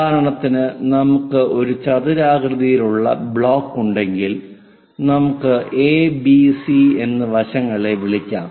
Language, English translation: Malayalam, For example, if we have a rectangular block, let us call letter A, side B and C